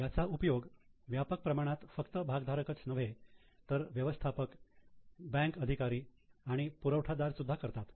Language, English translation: Marathi, This is extensively used not only by shareholders but by managers, also by bankers, by suppliers and so on